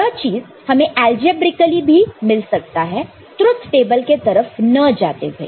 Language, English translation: Hindi, It can be obtained algebraically also, without going via the truth table route